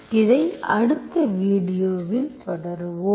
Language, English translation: Tamil, We will continue this in the next video